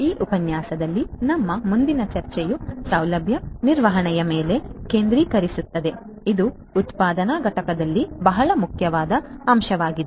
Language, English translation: Kannada, Our next discussion in this lecture will focus on facility management, which is a very important aspect in manufacturing plants